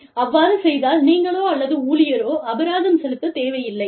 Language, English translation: Tamil, So, that neither you, nor the employee, is penalized